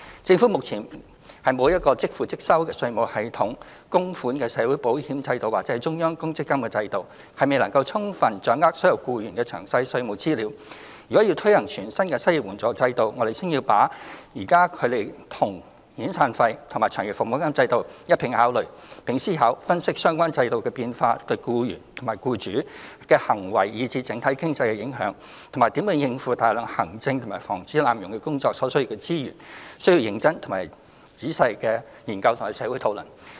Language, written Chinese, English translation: Cantonese, 政府目前沒有即收即付的稅務系統、供款的社會保險制度或中央公積金制度，亦未能充分掌握所有僱員的詳細稅務資料，如要推行全新的失業援助制度，我們先要把它與現有的遣散費及長期服務金制度一併考慮，並思考、分析相關制度變化對僱主及僱員的行為以至整體經濟的影響，以及如何應付大量行政及防止濫用工作所需的資源，需要認真及詳細的研究和社會討論。, Since there are currently no systems such as pay - as - you - go income tax system contributory social insurance system or central provident fund system in place and the Government cannot obtain detailed tax information of all employees in Hong Kong the implementation of a new unemployment assistance system will require serious and thorough deliberation as well as public discussion . Apart from considering the new system in tandem with the existing SP and LSP systems we have to look into and evaluate the impacts of such a systemic change on the conduct of employers and employees as well as the overall economy and the ways to meet the resources required for the substantial work arising from system administration and abuse prevention